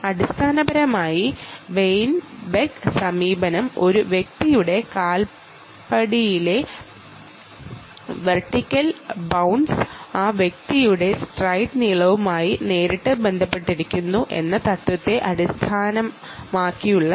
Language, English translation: Malayalam, essentially, the weinberg approach is based on a principle that a vertical bounce in an individual s foot step is directly correlated to that person s stride length